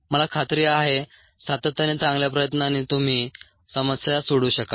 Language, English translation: Marathi, i am sure, with the consistent, good effort, you would be able to solve problems